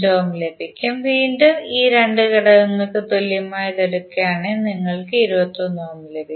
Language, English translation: Malayalam, 5 ohm and again if you take the equivalent of these 2 elements, you will get 21 ohm